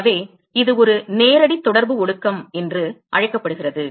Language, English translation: Tamil, So, this is what a called a direct contact condensation